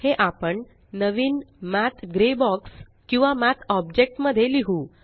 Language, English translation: Marathi, Let us write these in a fresh Math gray box or Math object